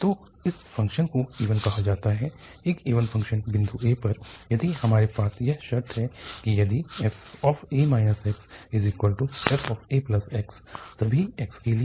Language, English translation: Hindi, So, a function is said to be an even, an even function about the point a if we have this condition that if a minus x is equal to f a plus x for all x